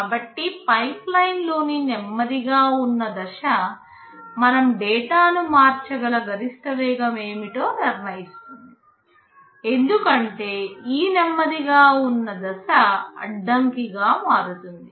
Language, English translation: Telugu, So, the slowest stage in the pipeline will determine what is the maximum speed with which we can shift the data, because this slowest stage will be become the bottleneck